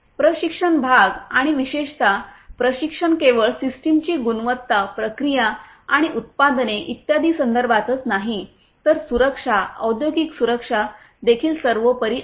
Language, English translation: Marathi, The training part and particularly the training with respect to not only the systems the quality of them, the processes and the products and so on, but also the safety, safety, industrial safety is paramount